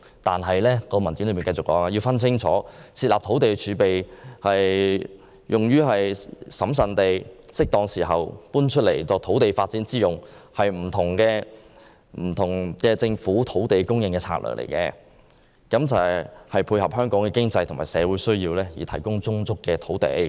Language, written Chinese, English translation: Cantonese, 但是，文件進一步指出，設立土地儲備以審慎地在適當時候作土地發展之用，是一項不同的政府土地供應策略，為配合香港經濟和社會需要而提供充足的土地。, However the document further pointed out that setting up a land reserve and using it prudently at the right time for development was another land supply strategy of the Government to provide sufficient land to meet Hong Kongs economic and social needs